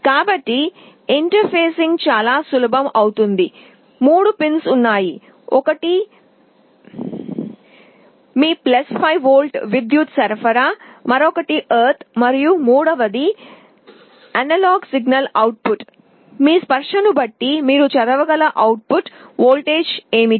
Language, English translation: Telugu, So the interfacing becomes very simple; there are three pins one is your + 5 volt power supply, other is ground and the third one is analog signal output; depending on your touch what is the output voltage that you can read